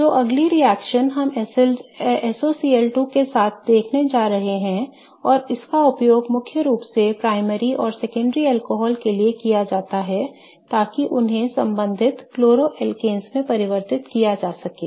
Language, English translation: Hindi, So, the next reaction that we are going to see is reaction with SOCL2 and this is used for mainly primary and secondary alcohols to convert them to corresponding chloroalkanes